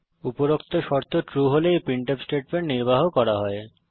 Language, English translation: Bengali, If the condition is true then this printf statement will be executed